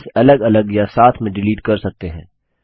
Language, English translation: Hindi, Sheets can be deleted individually or in groups